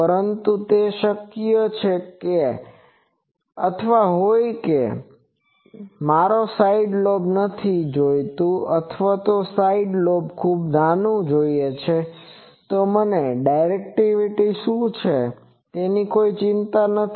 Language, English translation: Gujarati, But, that type of thing, is it possible or someone might say that I want that I do not want any side lobe or I want side lobe to be very small, I do not care about what is the directivity